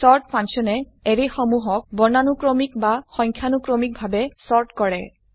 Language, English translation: Assamese, sort function sorts an Array in alphabetical/numerical order